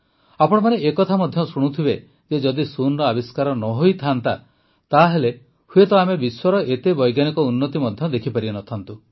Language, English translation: Odia, Often you will also hear that if zero was not discovered, then perhaps we would not have been able to see so much scientific progress in the world